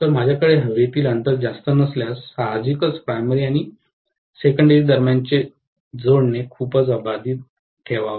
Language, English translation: Marathi, So, if I do not have much of air gap, obviously the coupling between the primary and the secondary has to be pretty much intact